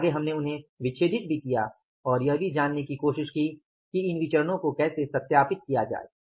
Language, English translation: Hindi, We further dissected them also and try to learn also how to verify these variances